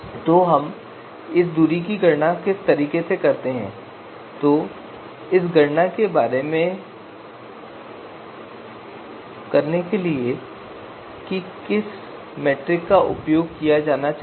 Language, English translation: Hindi, So how do we compute the distance what is the metrics metric that should be used to perform the you know this computation